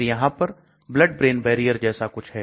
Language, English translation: Hindi, Then there is something called blood brain barrier